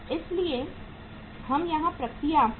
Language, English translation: Hindi, So we will take the work in process here